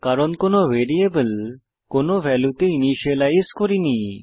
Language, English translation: Bengali, This is because, we have not initialized the variables to any value